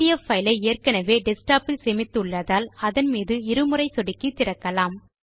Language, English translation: Tamil, Since we have already saved the pdf file on the desktop, we will double click on the pdf file